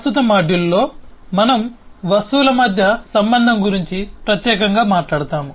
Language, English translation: Telugu, in the current module we will talk specifically about relationship between objects